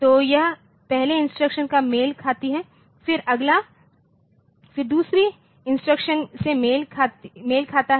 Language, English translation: Hindi, So, this then corresponds to the first instruction, then the next then also corresponds to the second instruction